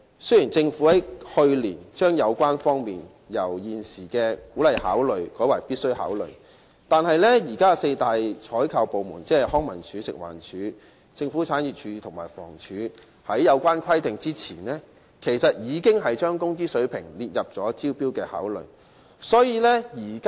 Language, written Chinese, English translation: Cantonese, 雖然政府在去年將有關因素由現時的"鼓勵考慮"改為"必須考慮"，但修改此規定前，現時的四大採購部門，即康樂及文化事務署、食物環境衞生署、政府產業署和房屋署，其實已將工資水平列入招標的考慮因素。, Although the Government imposed a requirement last year that all departments must consider rather than are encouraged to consider the relevant factors the four major procurement departments namely the Leisure and Cultural Services Department the Food and Environmental Hygiene Department the Government Property Agency and the Housing Department already included the wage levels as a factor for consideration in inviting tenders before this requirement was revised